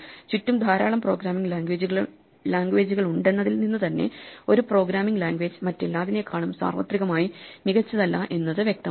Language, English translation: Malayalam, The very fact that there are so many programming languages around, it is obvious that no programming language is universally better than every other